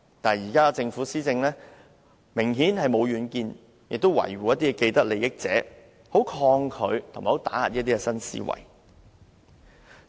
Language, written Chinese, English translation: Cantonese, 可是，現在的政府施政明顯沒有遠見，只懂維護某些既得利益者，很抗拒一些新思維，甚至加以打壓。, However the present Government obviously lacks foresight and only protects those with vested interests . It resists innovative ideas and even suppresses them